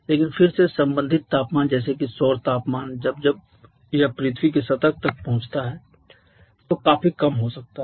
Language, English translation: Hindi, But again corresponding temperature corresponding solar temperature like when it reaches the surface of the earth can be quite low